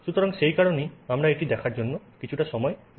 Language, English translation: Bengali, So that is why we would like to look at it